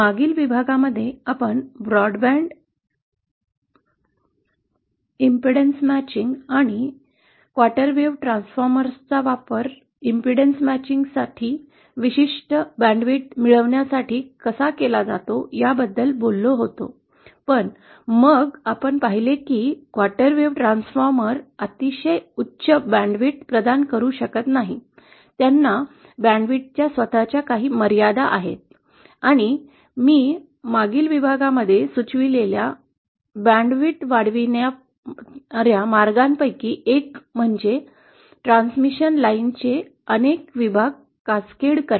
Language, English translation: Marathi, In the previous module we had talked about the broadband impedance matching & how quarter wave transformers are used for obtaining a certain bandwidth of impedance matching, but then we also saw that quarter wave transformers cannot provide a very high bandwidth, they have their own limitations of bandwidth & one of the ways that I suggested in the previous module is to increase the bandwidth could be to have multiple sections of transmission lines cascaded, featured